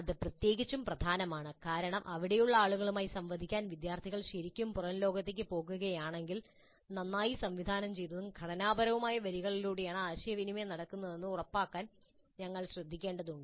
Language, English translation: Malayalam, That is particularly important because if the students are really going into the outside world to interact with people there we need to be very careful to ensure that the interaction occurs along well directed structured lines